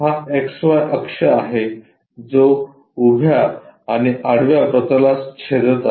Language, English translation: Marathi, X Y is the axis which is intersecting both vertical and horizontal plane